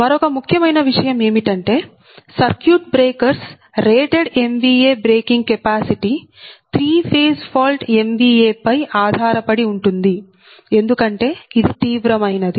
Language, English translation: Telugu, another important aspect is that your that circuit breakers is rated m v a, breaking your rated m v a braking capacity is based on three phase fault m v a, because this is the severe one right